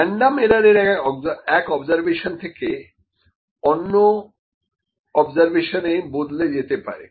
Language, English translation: Bengali, Random error, it may vary from observation to observation full